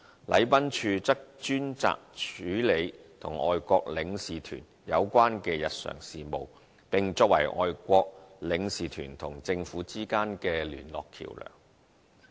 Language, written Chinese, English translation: Cantonese, 禮賓處則專責處理與外國領事團有關的日常事務，並作為外國領事團和政府之間的聯絡橋樑。, The Protocol Division is especially responsible for the day - to - day administration of the Consular Corps and acts as the contact point between the Consular Corps and the Government